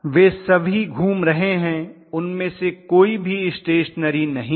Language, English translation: Hindi, All of them are rotating none of them are stationary